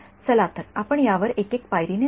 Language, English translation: Marathi, So, let us go over it step by step ok